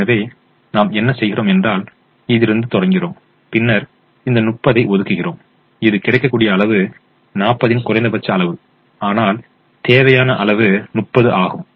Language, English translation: Tamil, so what we do is we start with this and then we allocate this thirty, which is the minimum of the available quantity forty and the required quantity thirty